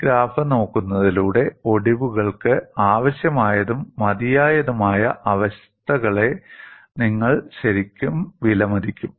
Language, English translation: Malayalam, By looking at this graph, you would really appreciate the necessary and sufficient conditions for fracture